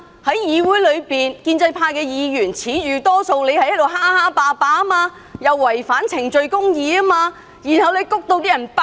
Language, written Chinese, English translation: Cantonese, 在議會中，建制派議員自恃手握多數票而橫行霸道，違反程序公義，以致民怨爆發。, In the legislature pro - establishment Members have by weight of votes played the bully against procedural justice . Eventually social grievances erupted